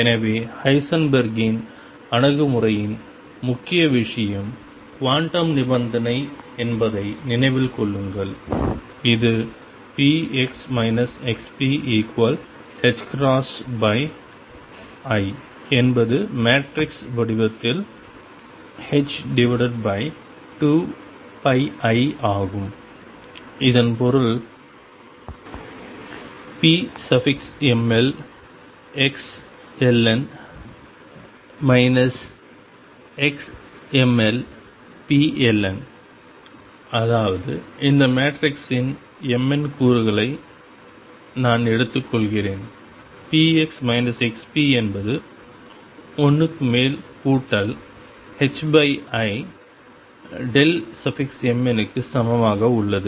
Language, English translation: Tamil, So, remember the main thing in Heisenberg’s approach is quantum condition which says that p x minus x p is equal to h cross over i which is h over 2 pi i in matrix form this means that p m l x l n minus x m l p l n; that means, I am taking the m n component of this matrix p x minus x p is summed over l is equal to h cross over i delta m n can we get the same condition from Schrödinger picture and what does it mean to have it coming from there